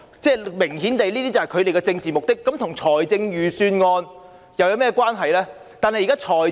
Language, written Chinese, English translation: Cantonese, 這明顯是他們的政治目的，這跟預算案有甚麼關係呢？, Obviously this is their political object and what has it to do with the Budget?